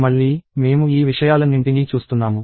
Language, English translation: Telugu, Again, I am watching all these things